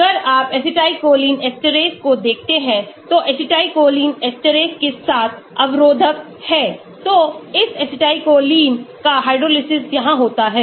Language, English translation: Hindi, if you look at acetylcholine esterase there are inhibitors for acetylcholine esterase So, hydrolysis of this acetylcholine takes place here